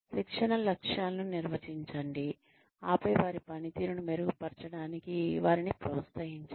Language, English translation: Telugu, Define the training objectives, then encourage them to improve their performance